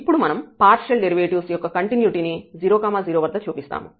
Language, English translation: Telugu, Well, so now, we will show the continuity of the partial derivatives at 0 0 point